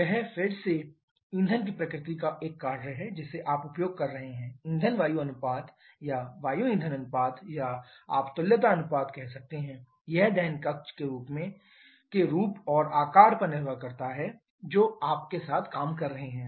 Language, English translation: Hindi, That again is a function of the nature of the fuel that you are using and the fuel air ratio or air fuel ratio or you can say the equivalence ratio that depends on the shape and size of the combustion chamber that you are dealing with